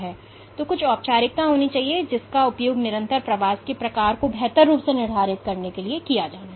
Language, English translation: Hindi, So, there has to be some formalism, which has to be used in order to better quantify the type of persistent migration